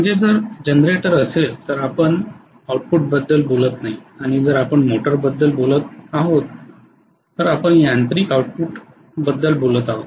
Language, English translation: Marathi, So if it is generator we are not talking about electrical output and if we are talking about motor we are talking about mechanical output, clearly